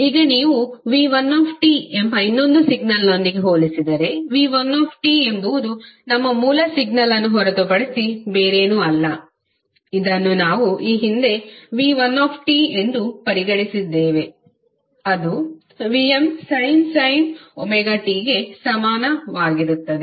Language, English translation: Kannada, So, now if you compare with another signal which is V1T and V1T is nothing but our original signal which we considered previously, that is V1 t is equal to vm sine omega t